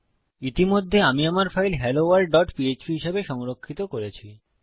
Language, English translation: Bengali, Now, Ive already saved my file as helloworld.php